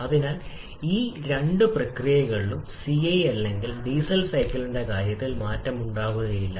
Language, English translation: Malayalam, So, there will be no change in case of CI engine or diesel cycle during those two processes